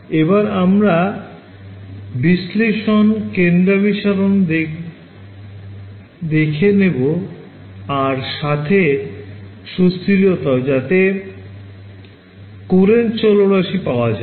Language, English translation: Bengali, So, we looked at we did analysis, convergence we did and stability this is where we got our Courant parameter right